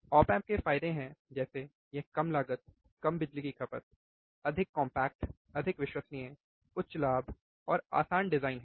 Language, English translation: Hindi, The advantages of op amps are it is low cost, right less power consumption, more compact, more reliable, high gain and easy design